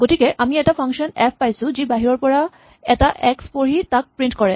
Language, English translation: Assamese, So, we have function f which reads an x from outside and tries to print it